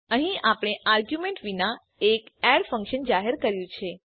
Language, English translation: Gujarati, Here we have declared a function add without arguments